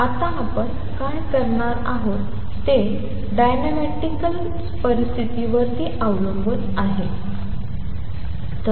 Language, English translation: Marathi, What we are going to do now is write what the condition on the dynamical condition should be